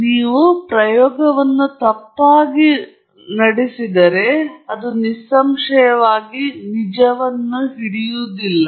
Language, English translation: Kannada, If you have run the experiment incorrectly, then obviously, this is not going to hold true